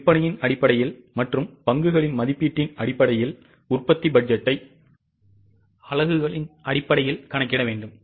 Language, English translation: Tamil, Based on sales and based on the estimation of stock we will have to calculate the production budget in terms of units